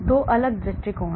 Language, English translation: Hindi, so 2 different approaches